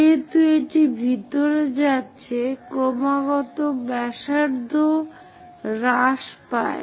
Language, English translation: Bengali, As it is going inside the radius continuously decreases